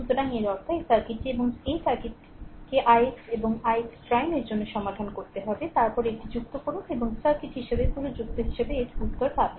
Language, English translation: Bengali, So, that means, this circuit and that circuit you have to solve for i x dash and i x double dash, then you add it up and as a whole you add as a circuit you will get the same answer right